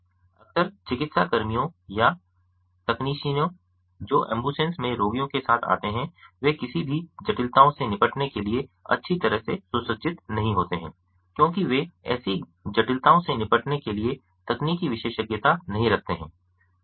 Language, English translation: Hindi, often times the medical personnel or the technicians who accompany the patients in the ambulance are not well equipped to deal with any complications that may arise